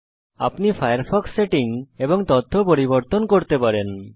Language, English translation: Bengali, You can now modify the firefox settings and data